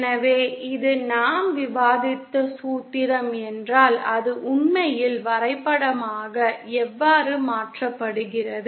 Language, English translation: Tamil, So then if this is the formula that we discussed so how does it actually translate graphically